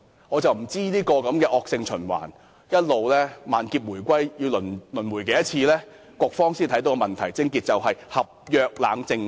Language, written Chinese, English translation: Cantonese, 我不知道這惡性循環要一直萬劫回歸、輪迴多少次，局方才會明白問題癥結是不設立合約冷靜期。, I do not know how many times this vicious circle has to repeat itself before the Bureau comes to realize that the crux of the problem is the failure of setting a cooling - off period for consumer agreement